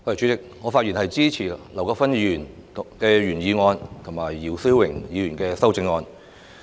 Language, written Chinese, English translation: Cantonese, 主席，我發言支持劉國勳議員的原議案及姚思榮議員的修正案。, President I speak in support of Mr LAU Kwok - fans original motion and Mr YIU Si - wings amendment